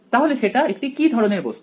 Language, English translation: Bengali, So, what is what kind of an object is that